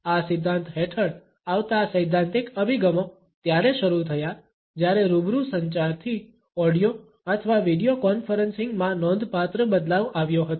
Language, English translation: Gujarati, The theoretical approaches which come under this theory is started when there was a remarkable shift from a face to face communication to audio or video conferencing